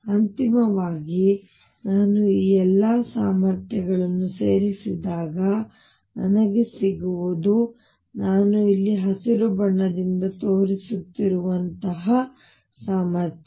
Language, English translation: Kannada, Finally, when I add all these potentials what I get is the potential like I am showing in green out here like this